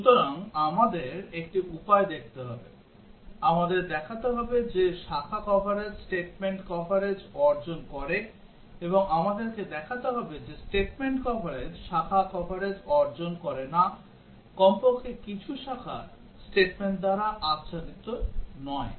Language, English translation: Bengali, So, we have to see one way, we have to show that branch coverage achieves statement coverage; and also we have to show that statement coverage does not achieve branch coverage; at least some branches are not covered by statements